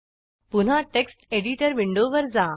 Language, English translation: Marathi, Now switch back to the Text Editor window